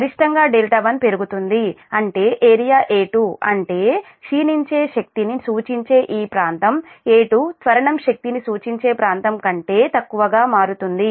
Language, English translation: Telugu, increasing delta one causes the area a two, that means this area a two, representing decelerating energy, to become less than the area representing the acceleration energy